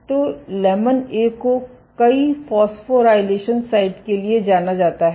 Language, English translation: Hindi, So, lamin A is known to have multiple phosphorylation sites